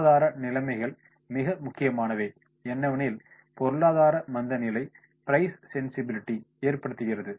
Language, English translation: Tamil, Economic conditions are important as recession caused price sensibility